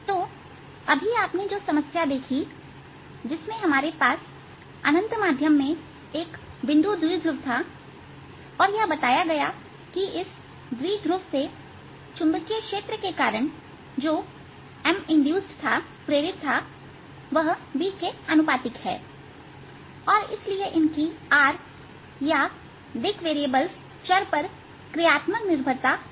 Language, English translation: Hindi, so problem that you just saw the solution of, in which we had a point dipole in an infinite medium and what was exploited was that m induced due to the magnetic field that was produced by the, this dipole is going to be proportional to b itself and therefore their functional dependence on r or space variables was the same